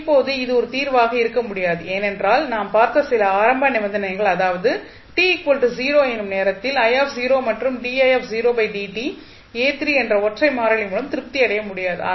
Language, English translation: Tamil, Now, this cannot be a solution because the 2 initial conditions which we saw that is I at time t is equal to 0 and di by dt at time t is equal to 0 cannot be satisfied with single constant a3